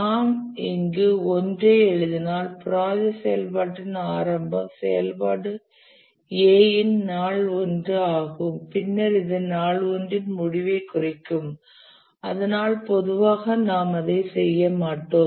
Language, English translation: Tamil, If we write day 1 here start of the project activity is day 1 for the activity A, then it will mean end of day 1 but normally we don't do that